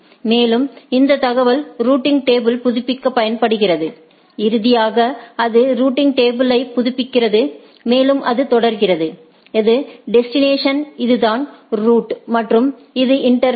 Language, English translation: Tamil, And, this information is used to update the routing table finally, it updates the routing table and it goes on that, if this is the destination this is the route and this is the interface to be used of the router